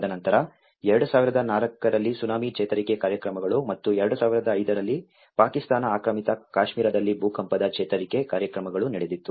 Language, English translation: Kannada, And then the Tsunami recovery programs in 2004 Tsunami and as well as 2005 earthquake in Kashmir in the Pewaukee Pakistan Occupied Kashmir